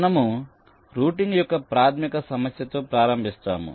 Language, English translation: Telugu, so let us see basic problem of routing to start with